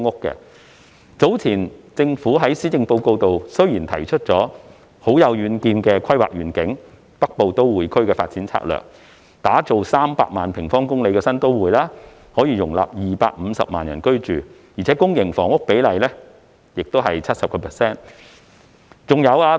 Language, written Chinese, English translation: Cantonese, 政府早前在施政報告提出了很有遠見的規劃願景，即《北部都會區發展策略》，打造300平方公里的新都會，可容納250萬人居住，而且公營房屋比例達到 70%。, The Government has put forward a far - sighted planning vision in the Policy Address earlier namely the Northern Metropolis Development Strategy to establish a new metropolis of 300 sq km to accommodate a population of 2.5 million thereby raising the public housing ratio to 70 %